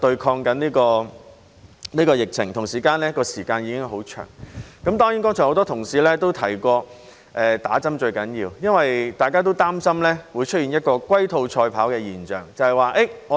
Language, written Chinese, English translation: Cantonese, 很多同事剛才提到接種疫苗最重要，因為大家也擔心會出現一種龜兔賽跑的現象。, Many of my colleagues have just mentioned that vaccination is the most important because they are worried that there will be a race between the tortoise and the hare